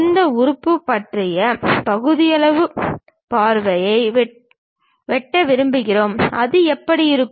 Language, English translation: Tamil, And we would like to have cut sectional view of this element, how it looks like